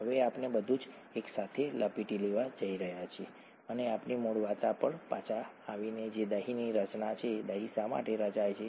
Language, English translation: Gujarati, Now we are going to wrap up everything together and by, by coming back to our original story which is curd formation, why does curd form